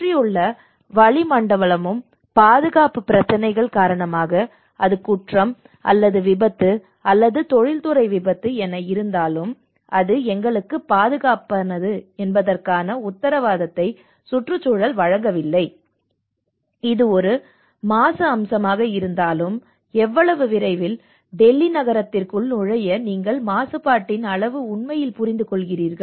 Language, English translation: Tamil, And also the surrounding atmosphere the environment is not also giving that guarantee that that is more safe you know, whether it is a crime, whether it is an accident, whether it is an industrial accident because of safety issues, whether it is a pollution aspect like in the moment you come to the city of Delhi you actually understand that kind of pollution, right